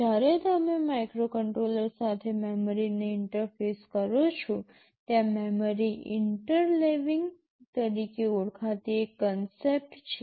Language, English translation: Gujarati, When you interface memory with the microcontroller, there is a concept called memory interleaving